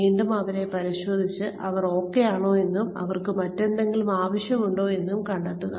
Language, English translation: Malayalam, And again, check on them, and find out, if they are doing, okay, and if they need anything else